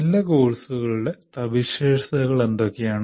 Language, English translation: Malayalam, What are the features of good courses